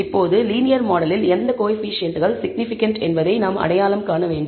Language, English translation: Tamil, Now, we need to identify which coefficients in the linear model are significant